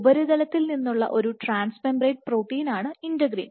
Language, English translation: Malayalam, So, integrin being a trans membrane protein from the surface